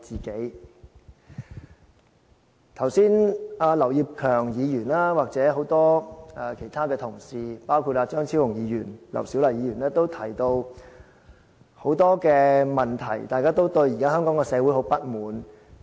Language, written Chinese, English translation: Cantonese, 剛才劉業強議員，或者很多其他同事，包括張超雄議員、劉小麗議員都提到很多問題，大家都對現在的香港社會很不滿。, Just now Mr Kenneth LAU and maybe also many other Members including Dr Fernando CHEUNG and Dr LAU Siu - lai all mentioned many problems . We are indeed very dissatisfied with our society nowadays